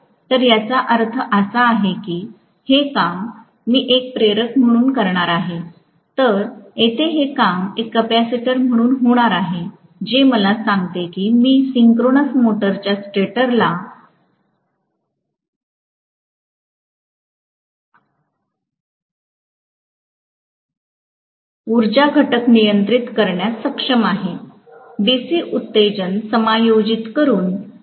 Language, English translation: Marathi, So, which means I am going to have this work as an inductor, whereas here, I am going to make this work as a capacitor which actually tells me that I will be able to control the power factor on the stator side of a synchronous motor by adjusting the DC excitation